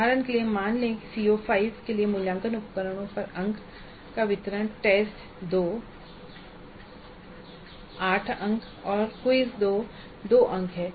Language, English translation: Hindi, For example, assume that the distribution of marks over assessment instruments for CO5 is test to 8 marks and quiz 2 marks